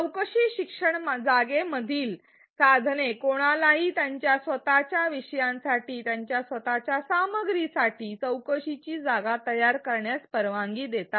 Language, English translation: Marathi, The tools in the inquiry learning space allows anyone to create inquiry spaces for their own topic, for their own content